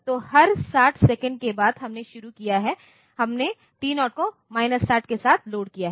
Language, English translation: Hindi, So, after every 60 seconds so, we have started, we have loaded T0 with minus 60